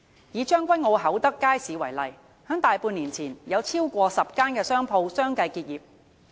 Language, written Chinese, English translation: Cantonese, 以將軍澳厚德街市為例，在大半年前，有超過10間商鋪相繼結業。, Take Hau Tak Market in Tseung Kwan O as an example . More than half a year ago over 10 shops closed down one after another